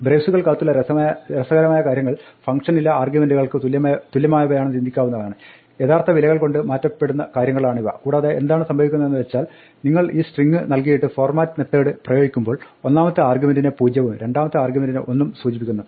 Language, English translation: Malayalam, The funny things in braces are to be thought of as the equivalent of arguments in the function, these are things to be replaced by actual values and then what happens is that when you give this string and you apply the format method then the 0 refers to the first argument and 1 refers to the second argument